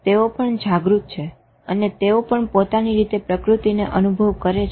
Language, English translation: Gujarati, They are also aware, they are also experiencing nature in their own way